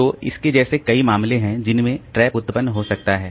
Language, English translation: Hindi, So, like that there are many cases in which the trap may be generated